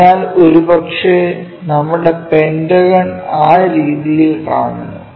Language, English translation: Malayalam, So, perhaps our pentagon looks in that way